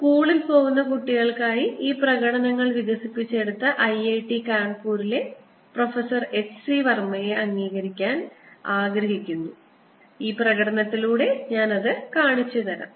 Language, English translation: Malayalam, i want to acknowledge professor h c verma at i i t kanpur, who has developed these demonstrations for school going kids